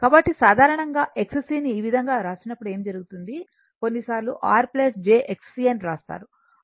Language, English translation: Telugu, So, generally what happen that X c when we write like this, sometimes we write R plus your what you call j X c